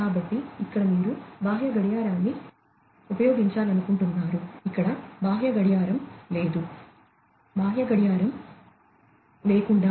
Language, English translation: Telugu, So, here you want to use the external clock, here there is no external clock, without any external clock